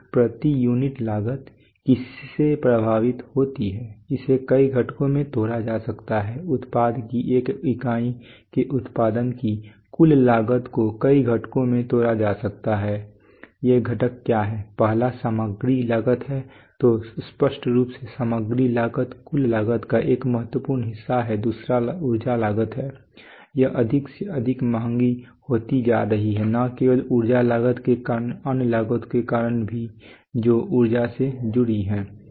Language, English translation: Hindi, So, cost per unit is affected by what, it can be broken up into several components the overall cost of producing one unit of the product can be broken up into several components what are these components the first one is material costs right so obviously the material cost is a significant part of the total cost then there is energy costs this is becoming more and more expensive energy is becoming more and more expensive not only because of the energy cost because of other costs which are associated with energy